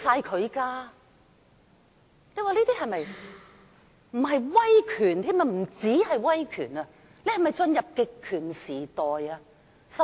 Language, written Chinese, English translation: Cantonese, 香港不單已進入威權時代，更已進入極權時代。, Not only has Hong Kong been ushered into an era of authoritarianism but it has also entered an era of totalitarianism